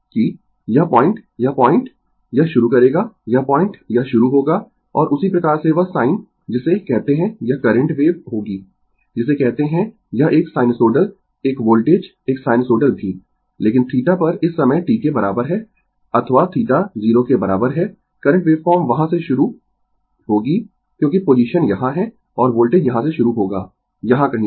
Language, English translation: Hindi, That your this point this point it will start, this point it will start, and in that way that sin your what you call this current wave will be your what you call this sinusoidal one voltage also sinusoidal one, but at theta is equal to this this time your t or theta is equal to 0, current waveform will start from there because position is here and voltage will start from here somewhere here, right